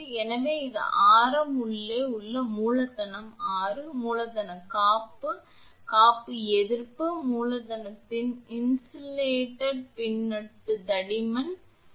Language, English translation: Tamil, So, this is capital R inside radius is capital R, the insulation resistance dR, d capital R ins that is the suffix insulation stands for dR ins of an annulus of thickness dx at radius x is